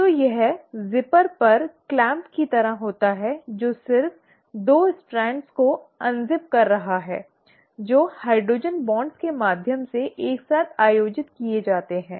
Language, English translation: Hindi, So it is like the clamp on the zipper which is just unzipping the 2 strands which are held together through hydrogen bonds